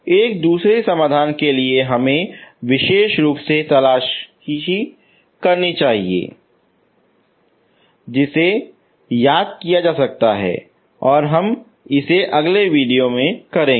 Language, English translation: Hindi, A second solution we should look for special form that you can remember so that we will do in the next video